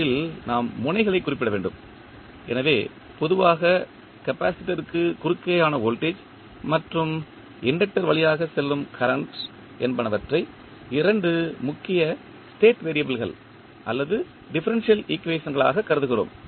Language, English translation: Tamil, First we have to specify the nodes, so, as we know that generally we consider the voltage across capacitor and current flowing inductor as the two important state variable or the differential equations